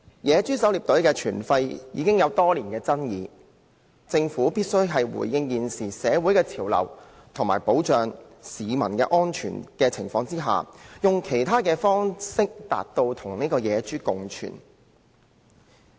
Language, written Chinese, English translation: Cantonese, 野豬狩獵隊的存廢已爭議多年，政府必須回應現時的社會潮流，以及在保障市民安全的情況下，以其他方式達致人類與野豬共存。, Given the years of controversies over the retention or otherwise of wild pig hunting teams the Government must respond to the current social trends and achieve the coexistence of people with wild pigs by other means subject to the protection of public safety